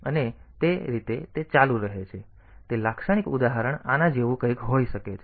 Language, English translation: Gujarati, So, it is the typical example can be like this